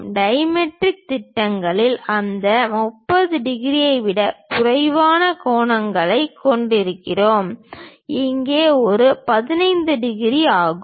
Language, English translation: Tamil, In dimetric projections, we have different angles something like lower than that 30 degrees, here it is 15 degrees